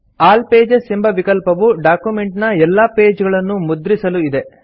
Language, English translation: Kannada, The All pages option is for printing all the pages of the document